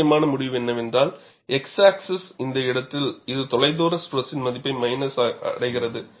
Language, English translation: Tamil, What is the important result is, along the x axis, at this place, it reaches the value of minus of the far field stress